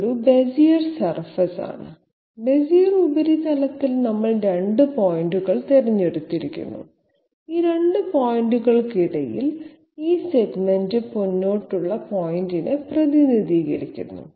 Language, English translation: Malayalam, This is a Bezier surface, on the Bezier surface we have selected two points and in between these 2 points this segment represents the forward step